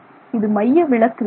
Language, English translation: Tamil, That is a centrifugal force